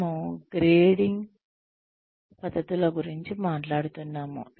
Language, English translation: Telugu, We were talking about the grading methods